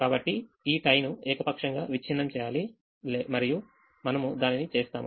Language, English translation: Telugu, so this tie has to be broken arbitrarily and we do that